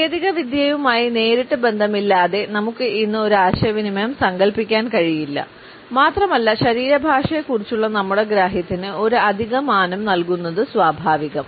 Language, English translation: Malayalam, We cannot imagine any communication today, without any direct association with technology and it is only natural that our understanding of body language is also given an additional dimension